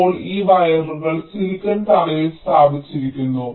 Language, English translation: Malayalam, now this wires are laid out on the silicon floor